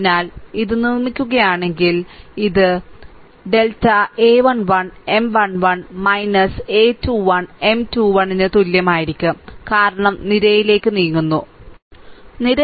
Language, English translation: Malayalam, So, if you make it, if you ah you are what you call if you make this one, then then it will be delta is equal to a 1 1 M 1 1 minus a 2 1 M 2 1 because we are moving towards the column, right